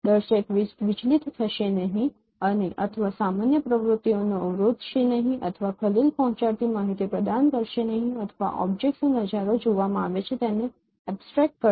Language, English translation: Gujarati, Viewer will be will not be you know will not get distracted or normal activities will not be hampered or will not provide the disturbing information or abstract the viewing of the objects are seen